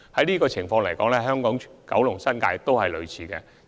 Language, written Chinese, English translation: Cantonese, 事實上，香港、九龍和新界也有類似的情況。, In fact similar cases are also found on Hong Kong Island Kowloon and the New Territories